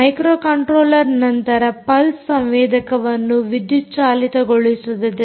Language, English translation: Kannada, the microcontroller then energizes the pulse sensor, ah